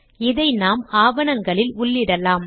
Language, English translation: Tamil, We can now insert this into documents